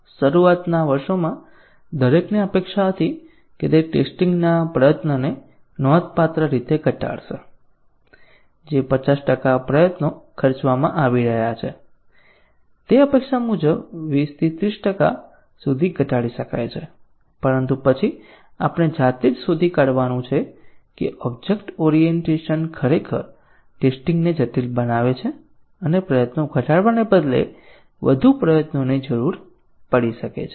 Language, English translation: Gujarati, In the initial years everybody expected that it will substantially reduce the testing effort, the 50 percent effort that is being spent may be reduce to 20 30 percent that was the expectation, but then as we self find out now that object orientation actually complicates testing and may need more effort rather than reducing the effort